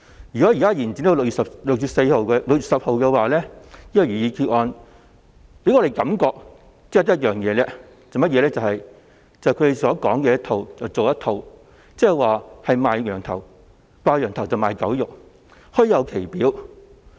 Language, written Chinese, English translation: Cantonese, 如果這項旨在延展有關規例審議期至6月10日的擬議決議案獲通過，我們只有一種感覺，就是他們"講一套、做一套"，即"掛羊頭賣狗肉"，表裏不一。, If this proposed resolution which seeks to extend the scrutiny period of the relevant regulations to 10 June is carried it will only give us the impression that they are not doing what they preach I mean selling a pig in a poke or practising hypocrisy